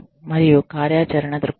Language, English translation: Telugu, And, the operational perspective